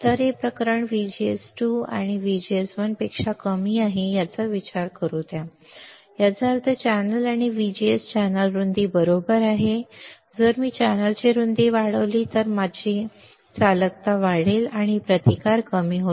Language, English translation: Marathi, So, let this case consider VGS 2 is less than VGS 1; that means, channel and VGS VG s is channel width right if I increase channel width my conductivity would increase, or my resistance would decrease